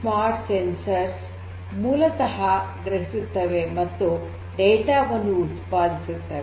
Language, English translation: Kannada, These smart sensors basically sense and they are going to generate the data